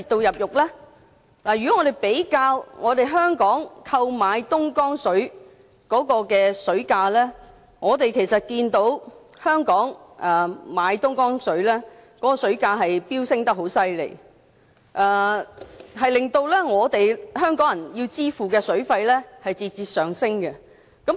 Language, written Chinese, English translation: Cantonese, 如果比較香港購買東江水的水價，可以看到香港購買東江水的水價飆升厲害，令到香港人要支付的水費節節上升。, If you compare the prices Hong Kong has been paying for Dongjiang water you can see that there has been a sharp rise in the purchasing price of Dongjiang water paid by us . Hence the water bills paid by Hong Kong people have also gone up